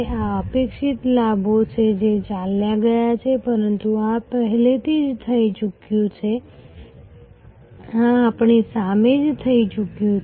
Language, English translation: Gujarati, These are the expected gains that drove, but this has already happened, this is happening right in front of us